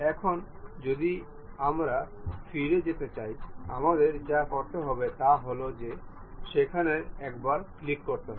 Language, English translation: Bengali, Now, if we want to go back, what we have to do, go there click the single one